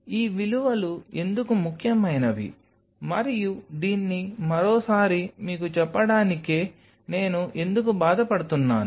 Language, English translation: Telugu, Why these values an important and why am I taking the pain to tell you this once again